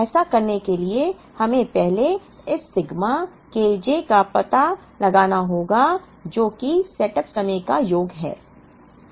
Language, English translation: Hindi, Now, in order to do that we need to first find out this sigma K j, which is the sum of the setup times